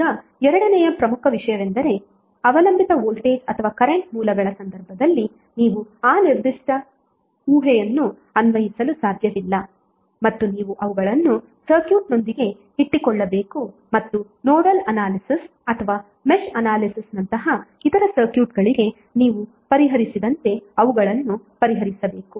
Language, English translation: Kannada, Now second important thing is that you cannot do that particular, you cannot apply that particular assumption in case of dependent voltage or current sources and you have to keep them with the circuit and solve them as you have solved for others circuits like a nodal analyzes or match analyzes